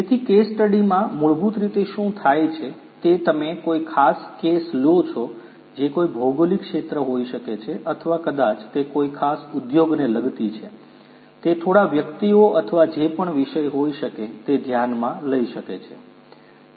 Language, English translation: Gujarati, So, in a case study basically you know what happens is you pick up a particular case which could be a geographical area or maybe you know it may concern a particular industry, it may consider a few individuals or whatever be the subject